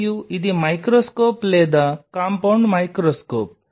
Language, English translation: Telugu, And this is a microscope which will be or compound microscope